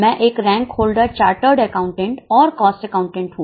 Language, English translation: Hindi, I am a rank holder, chartered accountant and cost accountant